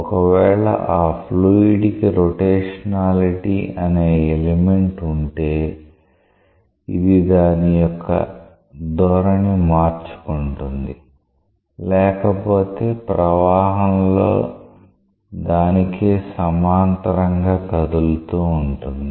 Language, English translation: Telugu, If the fluid has an element of rotationality it will change its orientation, otherwise it will move parallel to itself in the flow